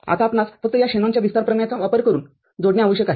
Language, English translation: Marathi, Now, we just need to combine using this Shanon’s expansion theorem